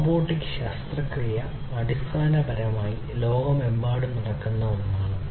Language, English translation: Malayalam, Robotic surgery is basically something that is happening worldwide